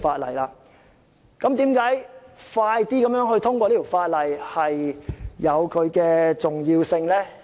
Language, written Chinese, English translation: Cantonese, 為甚麼盡快通過《條例草案》如此重要呢？, Why is it so important to pass the Bill as soon as possible?